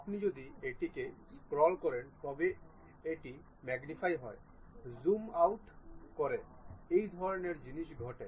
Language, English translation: Bengali, If you scroll it, it magnifies zoom in, zoom out kind of things happens